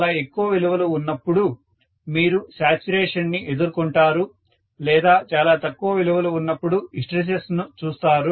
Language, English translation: Telugu, Extremely larger values you may encounter saturation, extremely smaller values you may see hysteresis